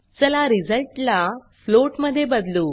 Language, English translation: Marathi, So let us change the result to a float